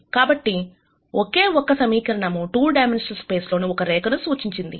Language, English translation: Telugu, So, a single equation in a 2 dimensional space represents a line